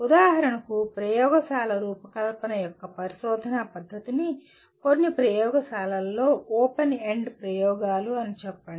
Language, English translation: Telugu, For example research method of design of experiments can be experienced through let us say open ended experiments in some laboratories